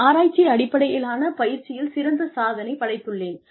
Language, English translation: Tamil, I have an excellent record of research based training